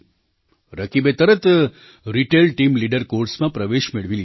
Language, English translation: Gujarati, Rakib immediately enrolled himself in the Retail Team Leader course